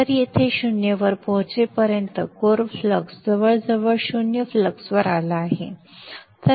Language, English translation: Marathi, So by the time it reaches zero here the core flux would have almost come to zero flux state